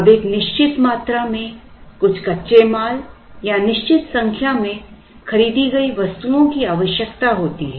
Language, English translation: Hindi, Now, requires certain raw materials or bought out items in a certain number